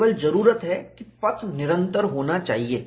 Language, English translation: Hindi, The only requirement is the path should be continuous